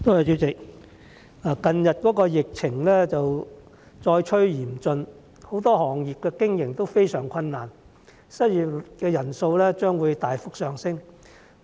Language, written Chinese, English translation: Cantonese, 主席，近日疫情再趨嚴峻，很多行業的經營都非常困難，失業人數將會大幅上升。, President as the epidemic becomes rampant again many trades and industries have great hardship in operation and the number of unemployed persons will surge